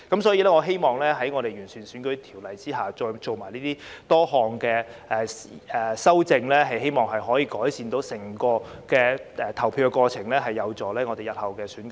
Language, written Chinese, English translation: Cantonese, 所以，我希望在完善選舉條例下作出多項修正後，能夠改善整個投票過程，有助日後進行選舉。, There were confusions in fact . In view of this I hope that the entire voting process can be improved after a number of amendments are made to improve the electoral legislation so as to facilitate the conduct of elections in the future